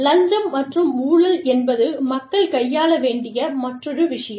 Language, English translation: Tamil, Bribery and corruption is another thing, that people have to deal with